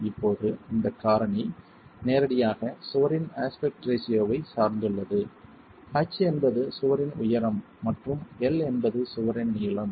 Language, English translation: Tamil, Now this factor is directly dependent on the aspect ratio of the wall, H being the height of the wall and L being the length of the wall